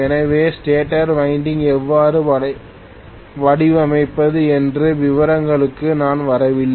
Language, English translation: Tamil, So I am not really getting into the details of how to design the starter winding